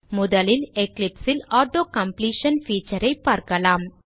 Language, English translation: Tamil, we will first look at Auto completion feature in Eclipse